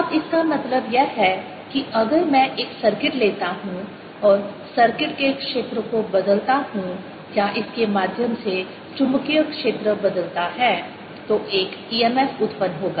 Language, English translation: Hindi, now what is means is that if i take a circuit and let the area of the circuit change or the magnetic field through it change, then there'll be an e m f generated